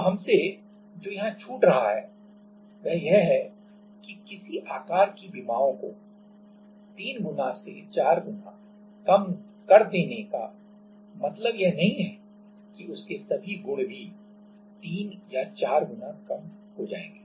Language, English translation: Hindi, Now, what we are missing here is that just reducing the dimension by 3 times or 4 time does not mean that, all the properties also will reduce by 3 or 4 times